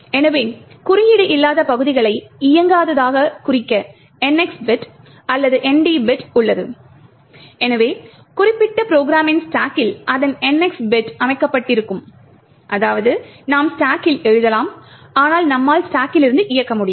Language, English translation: Tamil, So, the NX bit or the ND bit is present to mark the non code regions as non executable thus the stack of the particular program would be having its NX bits set which would mean that you could write to the stack but you cannot execute from that stack